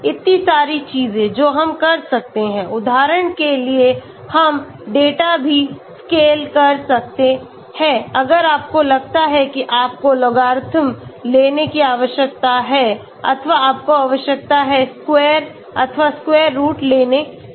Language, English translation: Hindi, So many things we can do, we can even scale data for example if you think you need to take logarithm or you need to take square or square root